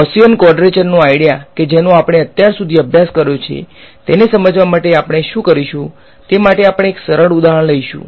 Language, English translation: Gujarati, To drive home the idea of Gaussian quadrature that we have studied so, far what we will do is we will take a simple example